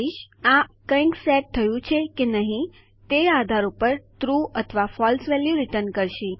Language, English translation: Gujarati, This basically returns a true or false value depending on whether something is set or not